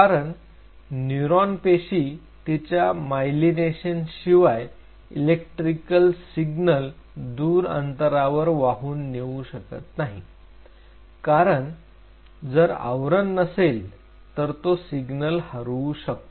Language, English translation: Marathi, Because a neuronal cell without its myelination will not be able to carry over the electrical signal to a long distance it will lost because there is no covering on top of it